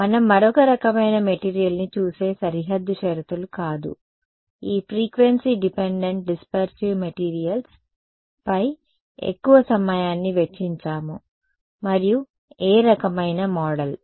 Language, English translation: Telugu, No, not boundary conditions what we looked at another kind of material, no one big we spend a lot of time on this frequency dependent dispersive materials and which kind of model